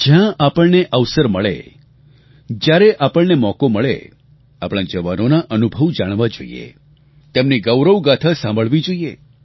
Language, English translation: Gujarati, Whenever we get a chance or whenever there is an opportunity we must try to know the experiences of our soldiers and listen to their tales of valour